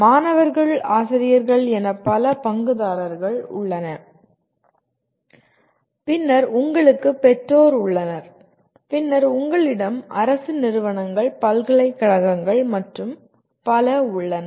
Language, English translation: Tamil, There are several stake holders concerned with that, anywhere from students, teachers, and then you have parents, then you have government agencies, universities and so on